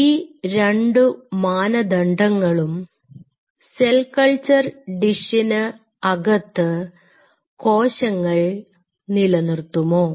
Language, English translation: Malayalam, Could these 2 parameters being retain in the cell culture dish